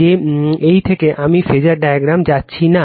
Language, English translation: Bengali, That is your the from this am not going to the phasor diagram